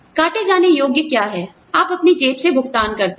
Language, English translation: Hindi, Deductible is what, you pay out of your own pocket